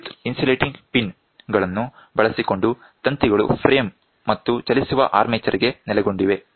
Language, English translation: Kannada, Using electrical insulating pins, the wires are located to the frame and a moving armature